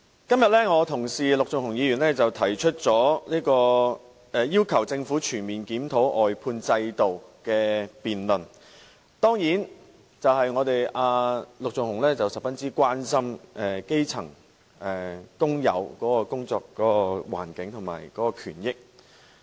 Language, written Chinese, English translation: Cantonese, 今天我的同事陸頌雄議員提出要求政府全面檢討外判制度的議案，當然是因為陸頌雄議員十分關心基層工友的工作環境和權益。, Today my Honourable colleague Mr LUK Chung - hung has proposed a motion requesting the Government to comprehensively review the outsourcing system certainly because he is greatly concerned about the working environment and rights and interests of grass - roots workers